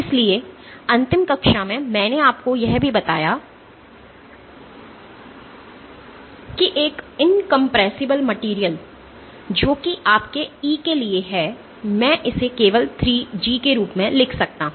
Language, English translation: Hindi, So, in the last class I have also told you that for an incompressible material your E, I can write it simply as 3G